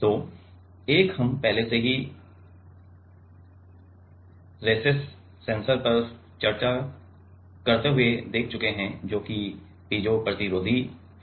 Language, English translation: Hindi, So, one we have already seen during while discussing the recess sensor that is Piezo resistive, [Piezo resistive